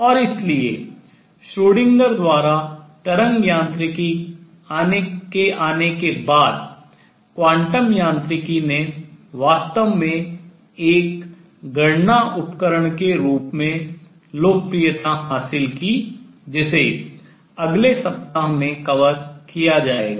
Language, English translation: Hindi, And therefore quantum mechanics really gained popularity as a calculation tool after wave mechanics by Schrödinger came along which will be covering in the next week